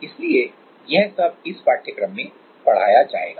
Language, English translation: Hindi, So, that will be taught in this course